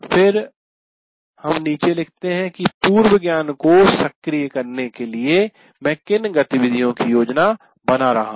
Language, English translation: Hindi, Then we write below what are the activities that I am planning for activation of the prior knowledge